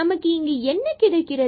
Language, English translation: Tamil, So, what do we get here